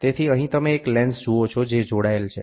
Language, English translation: Gujarati, So here you see a lens which is attached